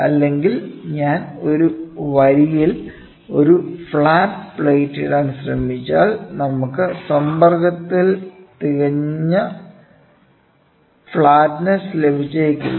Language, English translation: Malayalam, Or, if I try to put a flat plate on a line there might not be a perfect flatness in contact